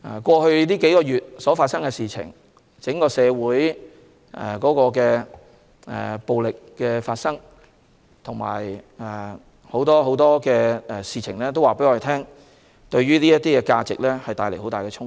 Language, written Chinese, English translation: Cantonese, 過去數月發生的事情，整個社會出現的暴力行為和很多其他事情，均對這些價值帶來很大衝擊。, In the past few months acts of violence in society and many other incidents have greatly affected such values